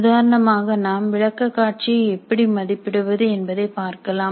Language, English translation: Tamil, As an example, we can look at how we evaluate the presentation